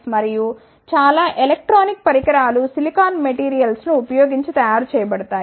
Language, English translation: Telugu, And, most of the electronic devices are made using silicon materials